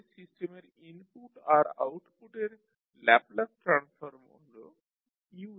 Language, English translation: Bengali, So, Laplace transform for the system’s input and output are as Us and Ys